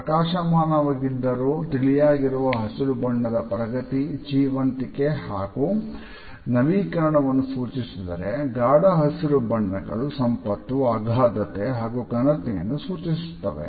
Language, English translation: Kannada, The bright yet light green color indicates growth, vitality and renewal whereas, the richer shades of green which are darker in tone represent wealth, abundance and prestige